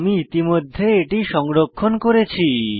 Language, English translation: Bengali, I have already saved it on my machine